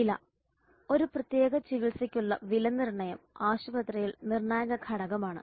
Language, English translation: Malayalam, The price the pricing is a crucial factor in hospital for a particular treatment